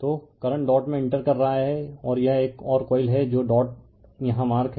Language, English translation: Hindi, So, current is entering into the dot and this is a another coil is dot is entering marked here